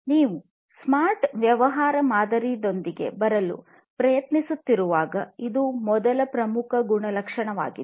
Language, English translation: Kannada, This is the first key attribute when you are trying to come up with a smart business model